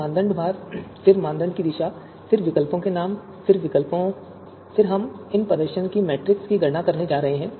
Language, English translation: Hindi, Then criteria weights, then the direction of criteria, then the names of alternatives, then we are going to you know compute this performance matrix